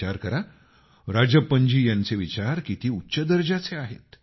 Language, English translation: Marathi, Think, how great Rajappan ji's thought is